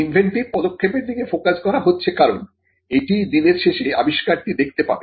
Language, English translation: Bengali, The focus is on the inventive step, because the inventive step is what will see the invention through at the end of the day